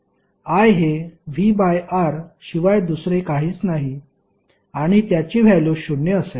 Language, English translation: Marathi, The value of V that is I R will be equal to zero